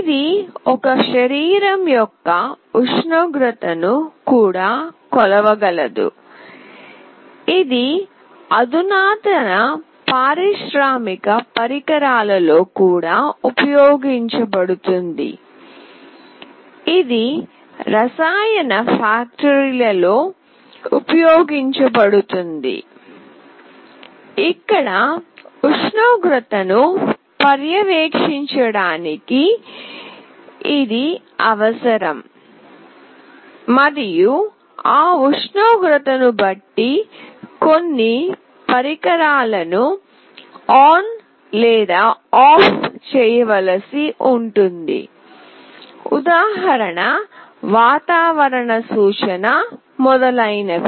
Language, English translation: Telugu, It can measure the temperature of a body, it is also used in sophisticated industrial appliances, it is used in chemical plants, where it is needed to monitor the temperature and depending on that temperature certain devices may be required to be made on or off, weather forecast, etc